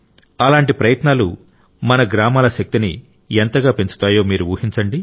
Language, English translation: Telugu, You must give it a thought as to how such efforts can increase the power of our villages